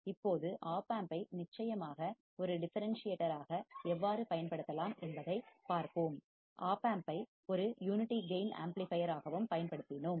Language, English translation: Tamil, Now, we will see how the opamp can be used as a differentiator of course, we have also used opamp as a unity gain amplifier